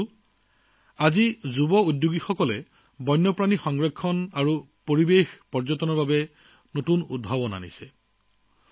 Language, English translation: Assamese, Friends, today young entrepreneurs are also working in new innovations for wildlife conservation and ecotourism